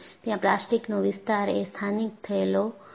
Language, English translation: Gujarati, But, the plastic zone is very highly localized